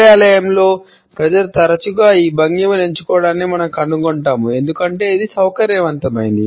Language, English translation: Telugu, In the work place, we often find people opting for this posture because it happens to be a comfortable one